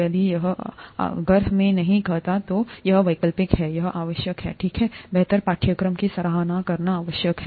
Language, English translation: Hindi, If it is, if I do not say it is optional it is required, okay, required to appreciate the course better